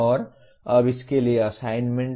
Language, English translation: Hindi, And now the assignments for this